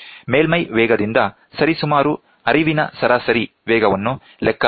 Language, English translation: Kannada, The average speed of flow can be calculated approximately from the surface speed